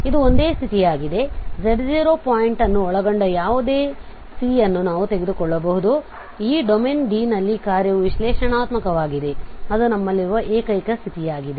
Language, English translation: Kannada, So here the C is an simple close curve in D enclosing the point z0 so that is the only condition we can take any C which encloses this z0 point and it is this domain D where your function is analytic that is the only condition we have